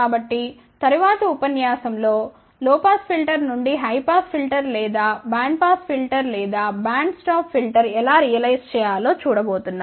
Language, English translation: Telugu, So, in the next lecture we are going to see how to realize from a low pass filter a high pass filter or band pass filter or band stop filter ok